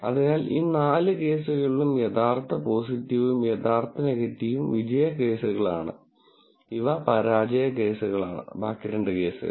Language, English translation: Malayalam, So, in these four cases the true positive and true negative are the success cases and these are failure cases